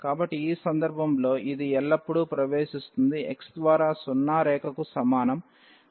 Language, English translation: Telugu, So, in this case it always enters through this x is equal to zero line